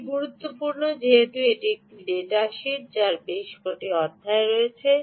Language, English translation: Bengali, so its important that ah, because this is a data sheet which has several chapters ah